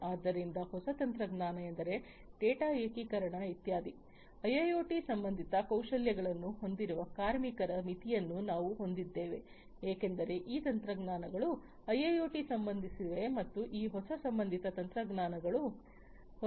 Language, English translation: Kannada, So, new technology means we have limitation of workers with IIoT related skills like data integration etcetera because these technologies are associated with IIoT and these new associated technologies these technologies are new in nature